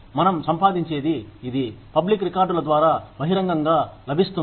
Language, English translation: Telugu, What we earn, is publicly available, through public records